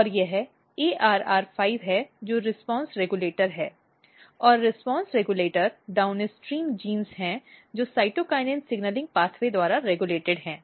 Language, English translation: Hindi, And this is ARR5 which is response regulators, and response regulators are basically downstream genes regulated by cytokinin signaling pathway